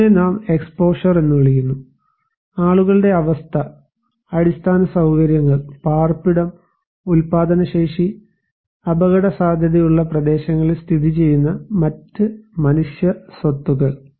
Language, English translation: Malayalam, So, this one we are calling as exposure; the situation of people, infrastructure, housing, production capacities and other tangible human assets located in hazard prone areas